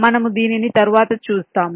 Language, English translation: Telugu, we shall see this later